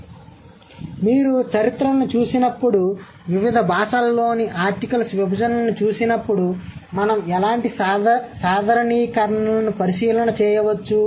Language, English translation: Telugu, So, when you look at the history or when you look at the division of articles in different languages, what sort of generalization that we can draw